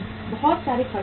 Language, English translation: Hindi, Lot of costs are there